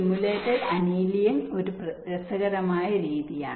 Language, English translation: Malayalam, ok, simulated annealing is an interesting method